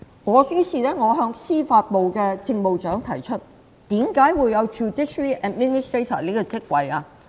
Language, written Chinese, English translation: Cantonese, 我再向司法機構政務長提出，為何會有司法機構政務長這個職位？, I then asked the Judiciary Administrator why this post was created in the first place